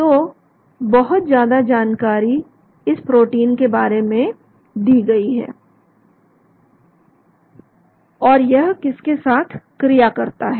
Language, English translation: Hindi, so a lot of information is given about this protein and what it interacts with